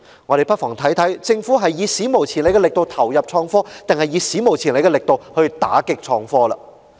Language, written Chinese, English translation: Cantonese, 我們不妨看看，究竟政府是以"史無前例的力度投入創科"，還是以"史無前例的力度打擊創科"。, Let us see whether the Government has put unprecedented efforts in investing in IT or put unprecedented efforts in combating IT